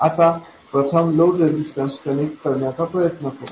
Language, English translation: Marathi, Now first let's try connecting the load resistor